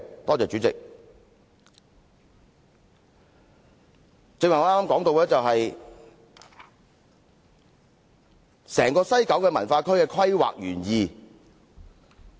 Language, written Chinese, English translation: Cantonese, 我剛才談到西九文化區的規劃原意。, I mentioned the planning intention of WKCD earlier